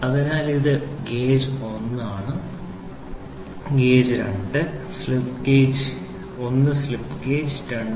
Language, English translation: Malayalam, So, this is gauge 1 this is gauge 2; slip gauge 1 slip gauge2